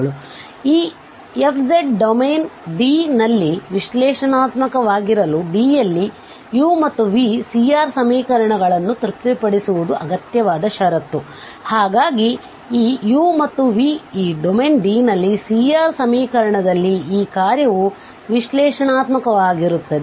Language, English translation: Kannada, So here are the necessary condition for differentiability or for this analyticity in a domain D is that, that u and v must satisfy the C R equations, so they must satisfy the C R equations otherwise this function is not going to be analytic, this is what the necessary condition means